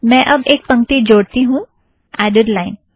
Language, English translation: Hindi, Let me add a line to the text